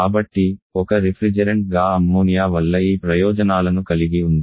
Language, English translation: Telugu, So, refrigerant ammonia has these advantages